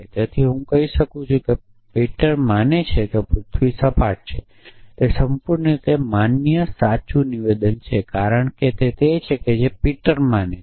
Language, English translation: Gujarati, So, I can say peter believes at the earth is flat essentially that is the perfectly valid true statement, because that is what peter believes essentially